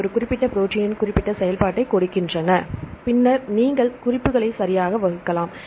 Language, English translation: Tamil, So, they give the specific function of a particular protein then you can class references right